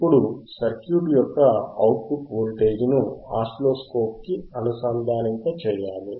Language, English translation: Telugu, Now, we have to connect the oscilloscope that is the output voltage of the circuit to the oscilloscope